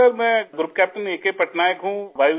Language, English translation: Urdu, Sir I am Group Captain A